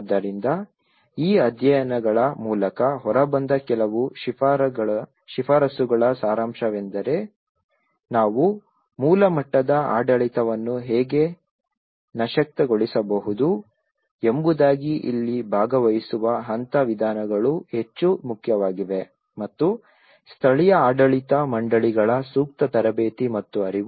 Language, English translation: Kannada, So, gist of some of the recommendations which came out through these studies like how we can empower the glass root level governance this is where the participatory level approaches are more important and also the appropriate training and awareness of local governing bodies